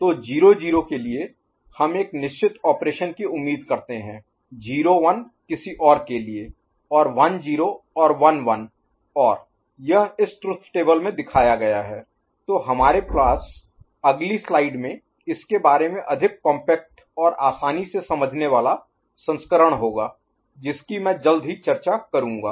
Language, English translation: Hindi, So, for 00 we expect certain operation, 01 something else 10 and 11 right and this is depicted in this truth table we shall have more compact and easy to understand version of it in the next slide which I shall discuss shortly ok